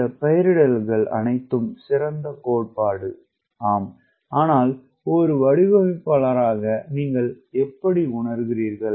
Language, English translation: Tamil, all these nomenclatures are fine, theory is fine, but as a designer, how do you perceive things